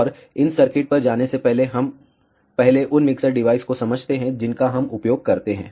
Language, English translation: Hindi, And before going to these circuits, let us first understand the mixture devices that we use